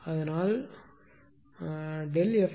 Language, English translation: Tamil, So, it is 0